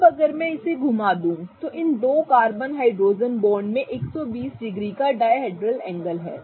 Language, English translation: Hindi, As I further move this such that these two carbon hydrogen bonds have a dihedral angle of 120 degrees